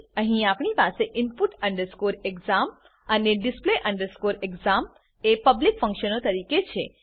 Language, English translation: Gujarati, Here we have input exam and display exam as public functions